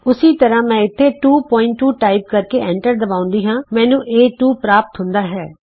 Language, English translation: Punjabi, Similarly I can type in here 2.2 and press enter I get A2